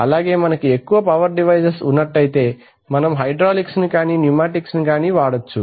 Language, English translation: Telugu, So when we have large power devices we use hydraulic and pneumatic